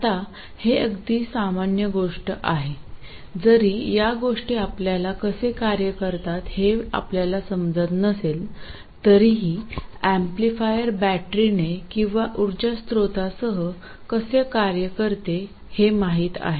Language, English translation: Marathi, Now this is quite common, at least even if you don't understand how things work, you know that an amplifier works with a battery or with some source of power